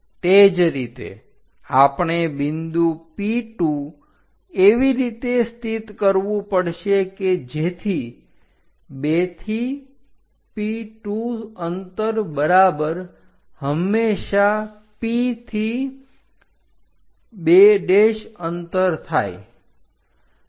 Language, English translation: Gujarati, Similarly, we have to locate point P2 in such a way that 2 to P2 distance always be equal to P to 2 prime distance